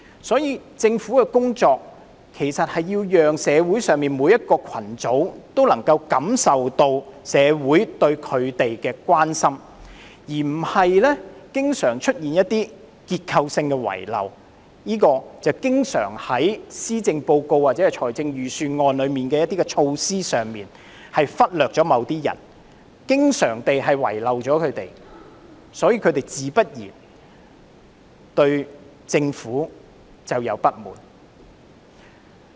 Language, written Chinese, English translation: Cantonese, 所以，政府的工作要讓社會上每個群組也能感受到社會對他們的關心，而不是經常出現一些結構性的遺漏，正如在施政報告或財政預算案的措施中經常忽略或遺漏某些人，所以，他們自然對政府有所不滿。, Hence the Government should undertake its work in ways that make every social group feel that society is concerned about them rather than allowing some structural omissions to prevail . Similarly for those who are frequently uncared for or left out by the measures put forth in policy addresses and budgets it is only natural for them to resent the Government